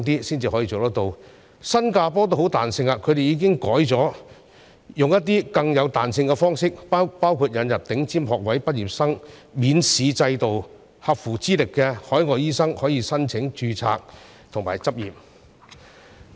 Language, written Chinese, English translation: Cantonese, 新加坡的做法同樣相當有彈性，他們已經改為使用更有彈性的方式，包括引入頂尖學位畢業生免試制度，讓合乎資歷的海外醫生可以申請註冊和執業等。, The approach adopted by Singapore is also very flexible . They have already switched to a more flexible approach including the introduction of an examination exemption scheme for graduates of top medical schools so as to allow qualified overseas doctors to apply for registration and practice and so on